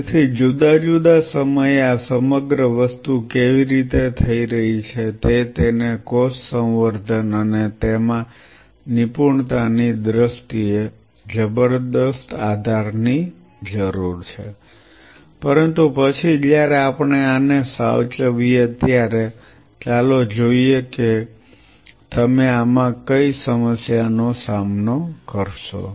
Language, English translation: Gujarati, So, at different time point how this whole thing is happening, this needs tremendous amount of support in terms of the cell culture and expertise in it, but then when we saved this let us see what are the problems you are going to face in this